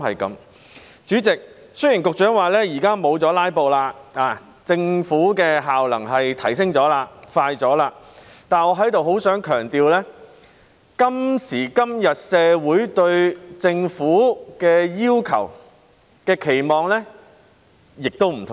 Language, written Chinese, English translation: Cantonese, 主席，雖然局長表示現在沒有"拉布"，政府的效能已提升了、辦事快了，但在這裏，我很想強調，今時今日社會對政府的要求和期望已有所不同。, President though the Secretary stated that the efficiency of the Government had been enhanced and the speed of its work had been raised in the absence of filibustering these days I still wish to stress here that what the community now wants and expects from the Government has changed